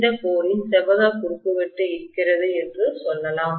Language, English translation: Tamil, Let us say I probably have a rectangular cross section for this core